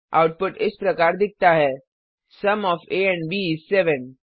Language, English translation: Hindi, The output is displayed as, Sum of a and b is 7